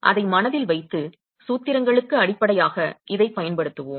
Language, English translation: Tamil, So, let's keep that in mind and use this as a basis for the formulations